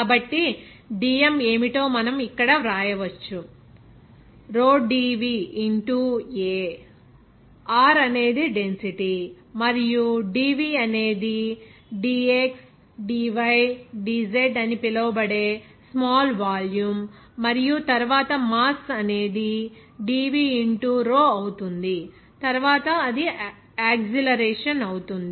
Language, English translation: Telugu, So, we can write here what will be the dm here, rho dV into a, Rho is the density and dV is the small volume that is dxdydz and then rho into dV will be mass, then into a it will be acceleration